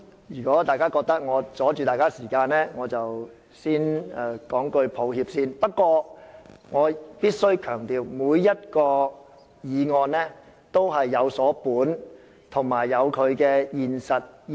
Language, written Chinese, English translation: Cantonese, 如果大家覺得我阻礙你們的時間，我先向大家說聲抱歉。不過，我必須強調我每一項議案均有所本，有其現實意義。, If Honourable colleagues think that I am taking up their time I would like to apologize to them but I must emphasize that each of these motions has its own purpose and practical significance